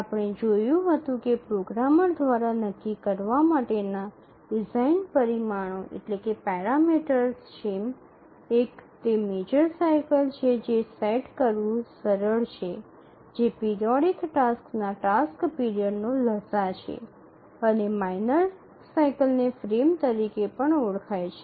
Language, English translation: Gujarati, We had seen that the design parameters that need to be decided by the programmer is one is the major cycle which is easy to set which is the LCM of the task periods and the periodic tasks and the minor cycle also called as the frame